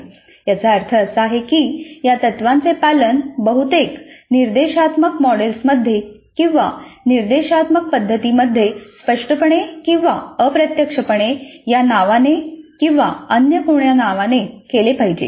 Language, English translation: Marathi, That means that these principles must be the ones followed in most of the instructional models or instructional methods either explicitly or implicitly by this name or by some other name